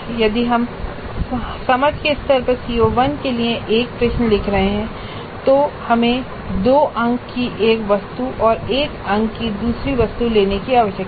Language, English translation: Hindi, So if we are composing a question for CO1 at the understand level we need to pick up one item worth two marks and another item worth one mark